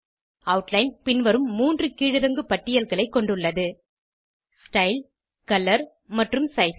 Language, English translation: Tamil, Outline heading has 3 drop downs, namely, Style, Color and Size